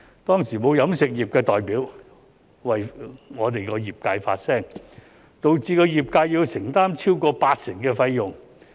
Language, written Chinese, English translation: Cantonese, 當時沒有飲食業代表為業界發聲，導致業界要承擔超過八成的費用。, At that time the catering industry did not have any representative to speak up for the industry so the industry had to bear over 80 % of the charges